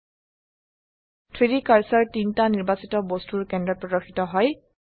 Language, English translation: Assamese, The 3D cursor snaps to the centre of the 3 selected objects